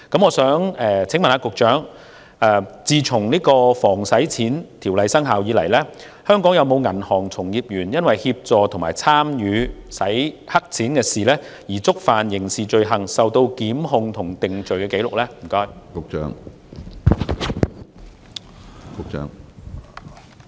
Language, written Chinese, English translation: Cantonese, 我想請問局長，《打擊洗錢及恐怖分子資金籌集條例》生效至今，香港有否銀行從業員因協助和參與洗錢而觸犯刑事罪行，並被檢控和定罪？, I would like to ask the Secretary that since the commencement of the Anti - Money Laundering and Counter - Terrorist Financing Ordinance are there any banking practitioners in Hong Kong prosecuted and convicted for the criminal offences of assisting and participating in money laundering?